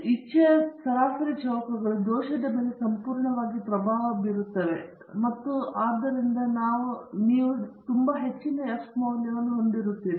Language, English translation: Kannada, The mean squares of a will completely dominate over that of the error and so you will have a very high F value